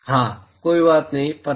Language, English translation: Hindi, Yeah, does not matter know